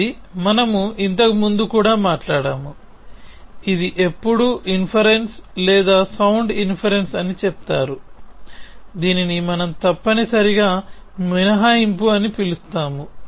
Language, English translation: Telugu, So, this we have talked about earlier as well, so it is it says that when is an inference or sound inference, which we call as deduction essentially